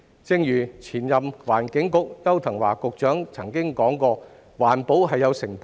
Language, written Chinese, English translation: Cantonese, 正如前任環境局局長邱騰華曾經指出，環保是有成本的。, As the former Secretary for the Environment Edward YAU had pointed out environmental protection came at a cost